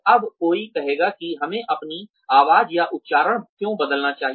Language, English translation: Hindi, Now, one will say, why should we change our voice or accent